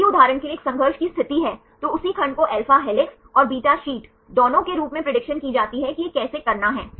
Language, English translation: Hindi, If there is a conflict situation for example, same segment it is predicted as both alpha helix and beta sheet right how to do this